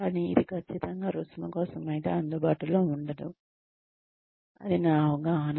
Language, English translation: Telugu, But, it will certainly not be available, for a fee, that is my understanding